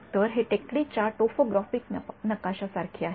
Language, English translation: Marathi, So, it's like a topographic map of a hill right